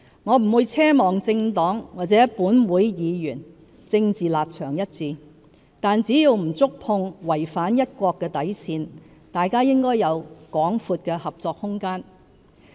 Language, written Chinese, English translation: Cantonese, 我不會奢望政黨或立法會議員政治立場一致，但只要不觸碰違反"一國"的底線，大家應有廣闊的合作空間。, I would not harbour an unrealistic wish that all our political parties or Members of this Council share the same political stance yet so long as the principle of one country is not compromised there should be plenty of room for collaboration